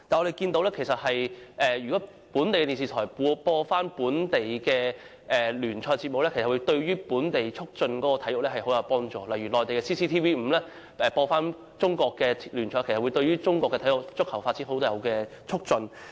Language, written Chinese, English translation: Cantonese, 然而，若由本地電視台播放本地聯賽節目的話，便能促進本地體育，例如內地的 CCTV-5 播放中國聯賽，便有助促進中國足球運動的發展。, However local television stations live broadcasting of the events of sports leagues can actually promote local sports . For instance CCTV - 5s live broadcasting of Chinese Super League matches in the Mainland has helped promote soccer development in China